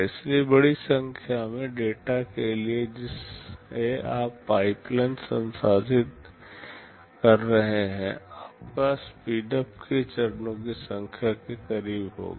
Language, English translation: Hindi, So, for a large number of data that you are processing the pipeline, your speedup will be close to number of stages k